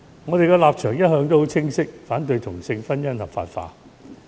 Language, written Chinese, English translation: Cantonese, 我們的立場一向很清晰，反對同性婚姻合法化。, Our position has all along been very clear; we oppose the legalization of same sex marriage